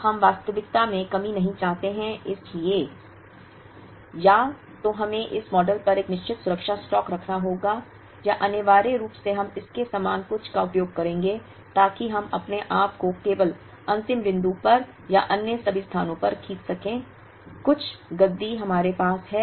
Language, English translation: Hindi, Now, we do not want shortage in reality, so either we have to put a certain safety stock over this model, or essentially we use something similar to this, so that we stretch ourselves only at the last point and for all other places, we have some cushion that we have